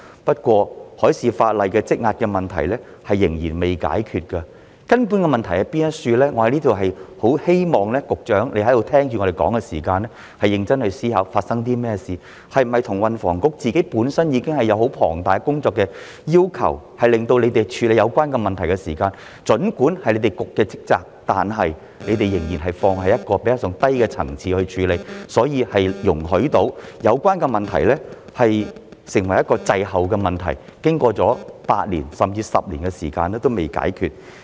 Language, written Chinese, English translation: Cantonese, 不過，海事法例方面積壓的問題仍未解決——我很希望局長在此聆聽議員意見時，要認真思考究竟發生了甚麼事——根本性的問題會否是運輸及房屋局本身已有十分龐大的工作需求，以致儘管這是局方的職責，但局方在處理有關問題時仍把它放在較低的層次，所以容許有關問題滯後處理，經過了8年，甚至10年時間，至今仍未解決？, However the problem of backlog in maritime legislation remains unresolved . I very much hope that the Secretary while listening to Members views here contemplates what has really happened . Would the fundamental problem be that THB already has an enormous workload itself so much so that even though this is its duty it still accords a lower priority to dealing with the problem thus allowing the problem to drag on for 8 or even 10 years and still remain unresolved?